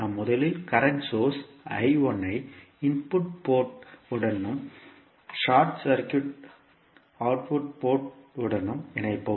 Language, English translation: Tamil, We will first connect the current source I1 to the input port and short circuit the output port